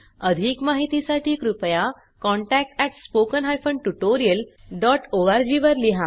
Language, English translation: Marathi, For more details, please write to spoken HYPHEN tutorial DOT org